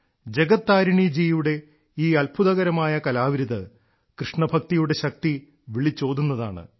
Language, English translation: Malayalam, Indeed, this matchless endeavour on part of Jagat Tarini ji brings to the fore the power of KrishnaBhakti